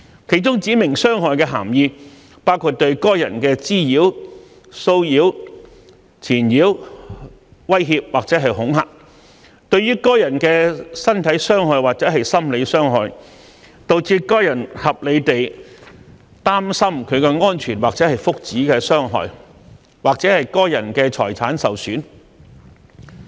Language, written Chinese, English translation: Cantonese, 其中"指明傷害"的涵義包括對該人的滋擾、騷擾、纏擾、威脅或恐嚇；對該人的身體傷害或心理傷害；導致該人合理地擔心其安全或福祉的傷害；或該人的財產受損。, Under these offences specified harm means harassment molestation pestering threat or intimidation to the person; bodily harm or psychological harm to the person; harm causing the person reasonably to be concerned for the persons safety or well - being; or damage to the property of the person